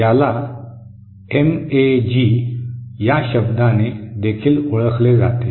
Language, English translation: Marathi, This is also known by the term MAG